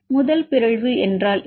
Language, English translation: Tamil, What is first mutation